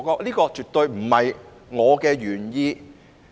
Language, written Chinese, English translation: Cantonese, 這絕非我的原意。, It is absolutely not my original intention